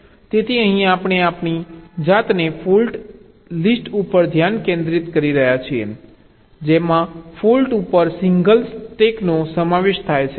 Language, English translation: Gujarati, so here we are, concentrating ourselves to ah fault list that consists of single stack at faults